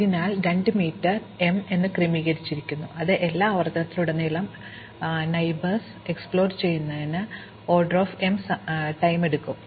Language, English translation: Malayalam, So, 2 m is order m, so overall exploring the neighbors across all n iteration takes time O m